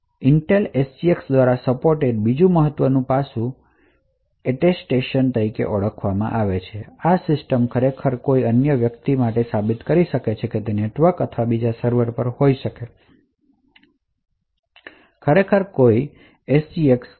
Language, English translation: Gujarati, Another very important aspect which is supported by Intel SGX is something known as Attestation where this system can actually prove to somebody else may be over the network or another server that it actually has a particular SGX